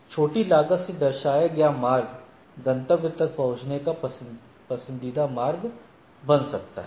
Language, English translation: Hindi, The path represented by the smallest cost become the preferred path to reach the destination right